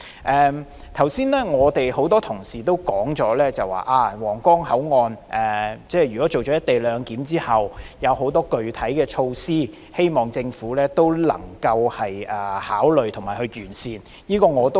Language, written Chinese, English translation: Cantonese, 剛才多位同事都提出多項皇崗口岸實施"一地兩檢"後的具體措施，希望政府能夠加以考慮和完善。, Many Honourable colleagues have just proposed a number of specific measures to be put in place after the implementation of co - location arrangement at the Huanggang Port hoping that the Government would take them into consideration and make improvement